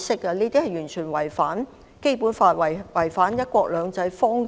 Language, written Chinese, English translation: Cantonese, 這些言論完全違反《基本法》和"一國兩制"方針。, What he said was completely against the Basic Law and the one country two systems principle